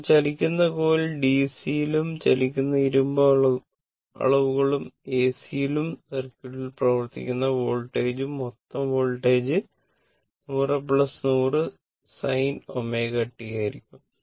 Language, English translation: Malayalam, So, moving coil measures DC and moving iron measures AC right and the voltage acting in the circuit is the total voltage will be 100 plus 100 sin omega t